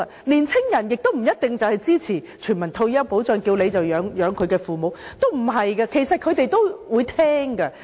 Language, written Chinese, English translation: Cantonese, 年輕人亦不一定支持全民退休保障，因為他們要承擔供養父母及其他長者的責任。, Young people do not necessarily support a universal retirement protection system because they have to undertake the responsibility of supporting their parents and other elderly people